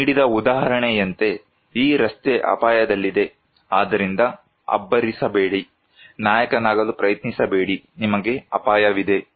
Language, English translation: Kannada, Like the example they have given that, this road is in danger, so do not be flamboyant, do not try to be hero, you will be at risk